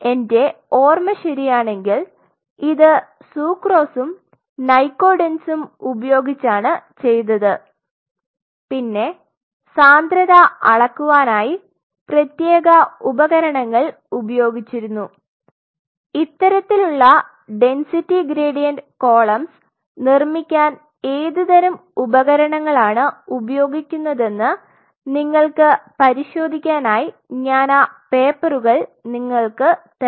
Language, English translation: Malayalam, And if I remember it right this was done with sucrose as well as with nycodenz and there are specific devices which are being used to measure the density I will give you those papers there you can check it out what the kind of devices which are being used to make these kind of density gradients columns